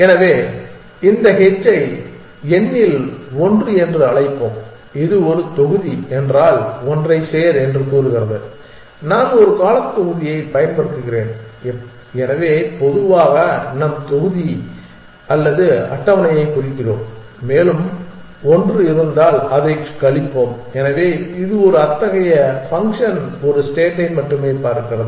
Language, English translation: Tamil, So, let us call this h one of n it says add one if block on i just use a term block, so in general we mean either block or the table and we subtract 1 if it is on, so this gives a such function which only looks at a state